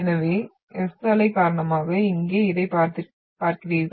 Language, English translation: Tamil, So no S waves are been seen here